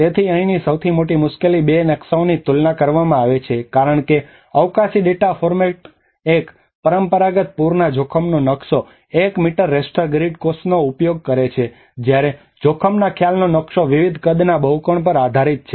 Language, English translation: Gujarati, So the biggest difficulty here is comparing the two maps because of the spatial data format one is the traditional flood risk map uses the one meter raster grid cells, whereas the risk perception map is based on the polygons of varying sizes